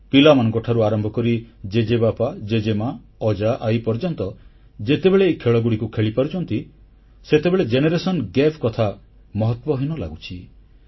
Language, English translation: Odia, From tiny tots to GrandfatherGrandmother, when we all play these games together then the term 'Generation Gap' disappears on its own